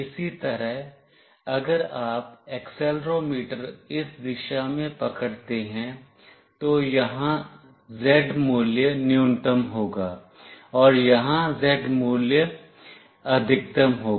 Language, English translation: Hindi, Similarly, if you hold the accelerometer in this direction, then the Z value will be minimum here, and the Z value will be maximum here